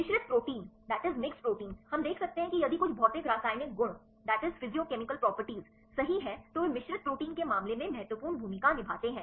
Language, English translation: Hindi, The mixed proteins we could see that if some physicochemical properties right they play an important role in the case of mixed proteins